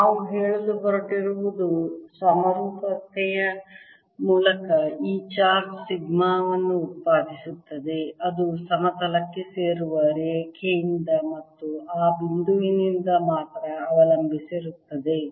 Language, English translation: Kannada, what we are going to say is that by symmetry, this charge produces a sigma which depends only on r from the line joining the plane